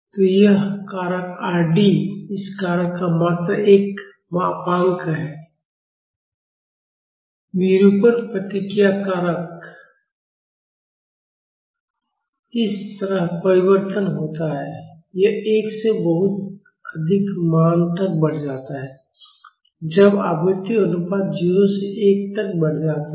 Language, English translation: Hindi, So, this factor R d is just a modulus of this factor; the deformation response factor R d varies like this, it increases from 1 to a very high value, when the frequency ratio increases from 0 to 1